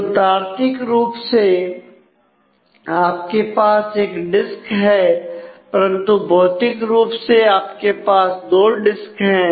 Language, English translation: Hindi, So, it the logically you have one disk, but physically you have actually two disk